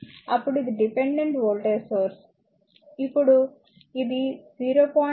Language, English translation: Telugu, Now this is a dependent voltage source, now you see that this is 0